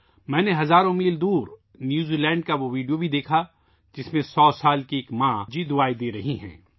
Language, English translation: Urdu, I also saw that video from New Zealand, thousands of miles away, in which a 100 year old is expressing her motherly blessings